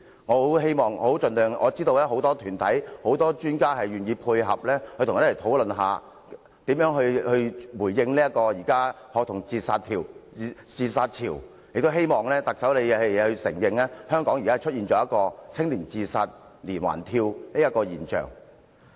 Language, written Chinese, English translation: Cantonese, 我知道很多專家和團體都願意配合，一起討論如何回應現時的學童自殺潮，我希望特首能承認香港正出現"青年自殺連環跳"的現象。, I know that many experts and organizations are willing to pitch in and discuss how to deal with the recent spate of student suicide incidents . I hope the Chief Executive can admit that there has emerged a chain of suicide leaps